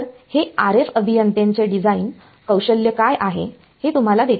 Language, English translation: Marathi, So, this is what the RF engineer design skill and gives it to you